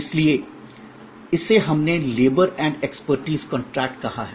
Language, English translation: Hindi, So, that is what we called labor and expertise contract